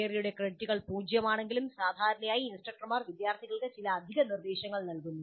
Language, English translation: Malayalam, Though the credits for theory are zero, usually the instructors do provide certain additional instruction to the students